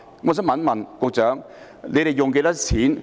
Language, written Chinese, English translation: Cantonese, 我想問局長，要花多少錢？, I would like to ask the Secretary how much have to be spent?